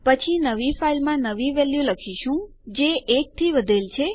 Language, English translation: Gujarati, Then were writing to our new file the new value which is increment of 1